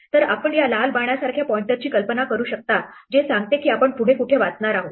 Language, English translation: Marathi, So, you can imagine a pointer like this red arrow which tells us where we are going to read next